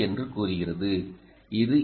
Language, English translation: Tamil, so it's a twenty